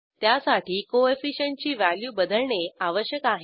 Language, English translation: Marathi, To do so, we have to change the Coefficient value